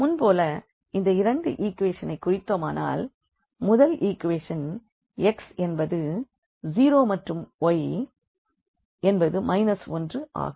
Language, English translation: Tamil, So, if we plot now these two equations as earlier; so, we have this first equation here where x is 0 and then y is minus 1